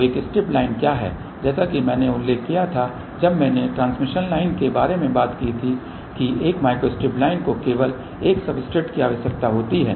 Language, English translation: Hindi, So, what is a strip line as I had mentioned when I talked about transmission line a micro strip line requires only one substrate